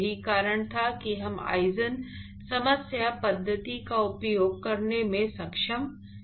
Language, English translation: Hindi, In fact, that was the reason why we were not able to use the eigenvalue problem method